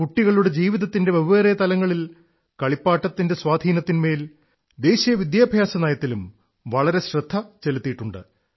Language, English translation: Malayalam, In the National Education Policy, a lot of attention has been given on the impact of toys on different aspects of children's lives